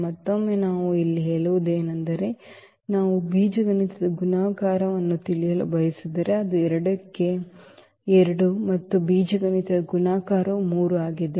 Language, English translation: Kannada, Again I mean here, the if we want to know the algebraic multiplicity so it is 2 4 2 and the algebraic multiplicity of 3 is 1